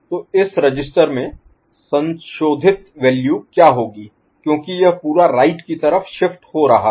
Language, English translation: Hindi, So, what will be the modified values of this shift register because it is getting shifted as whole to the right